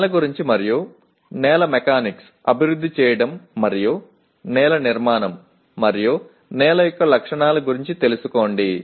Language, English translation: Telugu, Know about soil and development of soil mechanics and soil formation and characteristics of soil